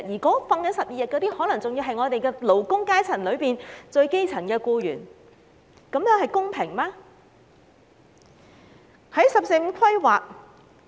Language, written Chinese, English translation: Cantonese, 享有12天假期的僱員，可能是勞工階層中最基層的僱員，這樣是否公平？, Is it fair for those employees who are probably at the lowest echelon of the working class to have only 12 days of holidays?